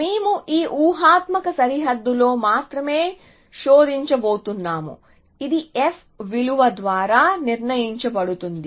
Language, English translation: Telugu, So, we are only going to search within this hypothetical boundary, which is determined by the f value essentially